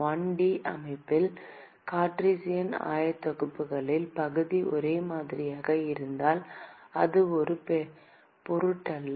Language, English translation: Tamil, In a 1 D system, in Cartesian coordinates, it did not matter because the area was same